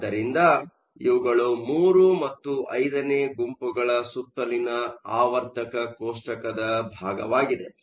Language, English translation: Kannada, So, this is just the portion of the periodic table around groups III and V